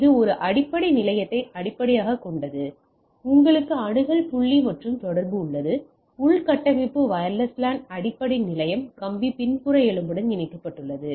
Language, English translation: Tamil, So, its a base station based so, you have a access point and communicate, infrastructure wireless base station is connected to the wired back bone all right